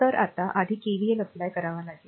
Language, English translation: Marathi, So now, you have to first apply the KVL